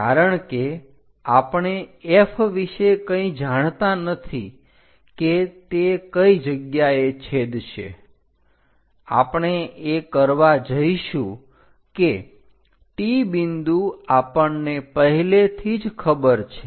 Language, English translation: Gujarati, Because we do not know anything about F where exactly it is going to intersect; what we are going to do is, already T point we know, from T point make a cut